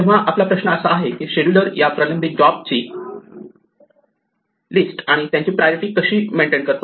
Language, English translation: Marathi, So, our question is how should the scheduler maintain the list of pending jobs and their priorities